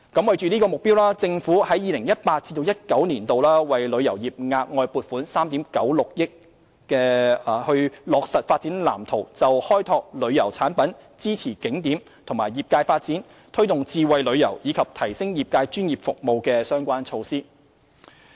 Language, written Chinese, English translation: Cantonese, 為此目標，政府在 2018-2019 年度為旅遊業額外撥款3億 9,600 萬元，以便落實《發展藍圖》就開拓旅遊產品、支持景點及業界發展、推動智慧旅遊，以及提升業界專業服務的相關措施。, To this end the Government has set aside an additional 396 million in 2018 - 2019 for the implementation of initiatives in the Development Blueprint in relation to the development of tourism products support for the development of attractions and the industry promotion of smart tourism and enhancement of initiatives related to the provision of professional services by the industry